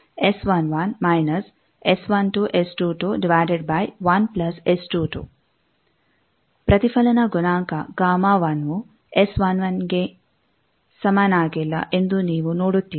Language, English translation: Kannada, You see that reflection coefficient gamma 1 is not equal to s11 it is equal to s11